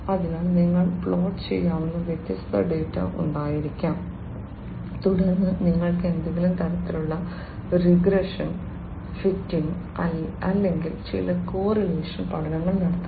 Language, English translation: Malayalam, So, you can have different data which could be plotted and then you can have some kind of a regression fitting or some correlation study etcetera